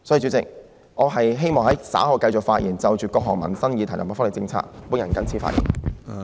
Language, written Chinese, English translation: Cantonese, 主席，我稍後希望繼續就各項民生議題及福利政策發言。, Chairman I wish to continue with my discussion on various livelihood issues and the welfare policy later on